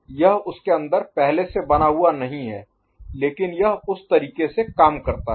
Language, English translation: Hindi, So, it is not built in, but it works in that manner ok